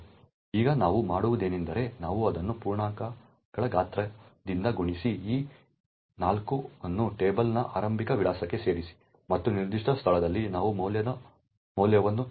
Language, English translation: Kannada, Now what we do is we take pos multiply it by size of integers 4 add that to the starting address of table and at that particular location we fill in the value of val